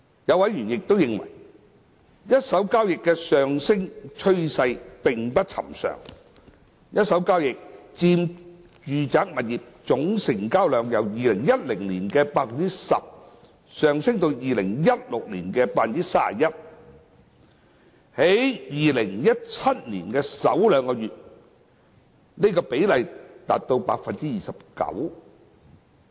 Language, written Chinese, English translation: Cantonese, 有委員亦認為，一手交易的上升趨勢並不尋常：一手交易佔住宅物業總成交量由2010年的 10% 上升至2016年的 31%， 而在2017年的首兩個月，這個比例達 29%。, These members also consider the increasing trend of primary sales unusual the proportion of primary sales to the total residential property transactions had increased from 10 % in 2010 to 31 % in 2016 and accounted for 29 % in the first two months of 2017